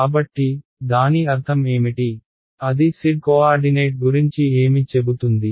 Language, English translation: Telugu, So, what does that mean, what does that tell us about the z coordinate